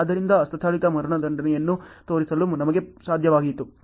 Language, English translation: Kannada, So, we were able to easily show the manual executions ok